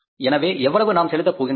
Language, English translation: Tamil, So how much payment we are going to make that